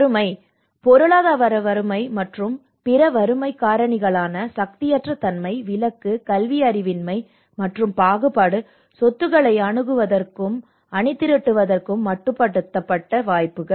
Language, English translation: Tamil, Poverty, economic poverty and other poverty factors such as powerlessness, exclusion, illiteracy and discrimination, limited opportunities to access and mobilise assets